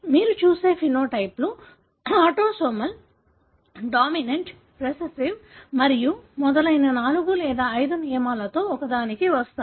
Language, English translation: Telugu, It is not that all phenotype that you will look at are falling into one of the four or five rules that is autosomal, dominant, recessive and so on